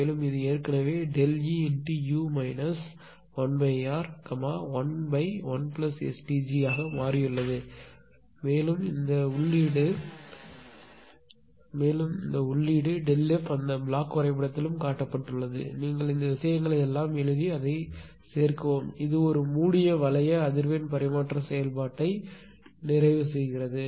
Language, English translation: Tamil, And this one already we have made it no delta E into u minus 1 upon R 1 upon 1 plus S T g and this is input was delta f also in that block diagram it was shown you write all these things you just make it and just add it no it is completing a closed loop frequency or closed loop your what you call transfer function